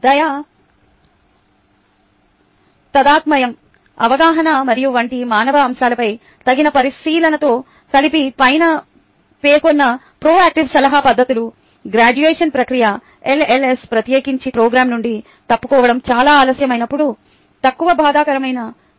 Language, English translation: Telugu, ah, the above methods of proactive advising, combined with due consideration to the human elements such as kindness, empathy, understanding and so on, the process of graduation can be made less traumatic for the lls, especially when it is too late to drop out of the program